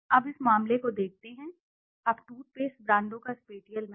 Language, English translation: Hindi, Now let us look at this case, now the spatial map of toothpaste brands